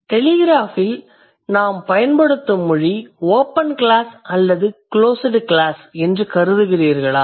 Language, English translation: Tamil, So, the kind of language that we use in the telegraph, do you think these are open class or closed class